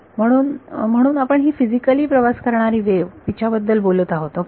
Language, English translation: Marathi, So, so we are talking about the wave that is physically travelling ok